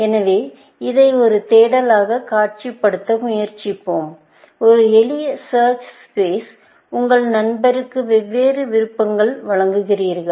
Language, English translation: Tamil, So, let us try to visualize this as a search, in a simple search space where, you give different options to your friend